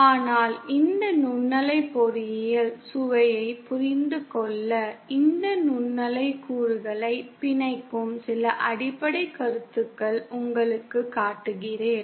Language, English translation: Tamil, But in order to understand a flavour of this microwave engineering, let me show you some of the basic concepts bind these microwave components